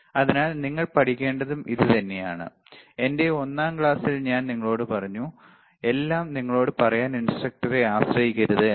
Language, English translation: Malayalam, So, that is the same thing that you have to learn, you see, I told you in my first class, that do not rely on instructor to tell you everything, right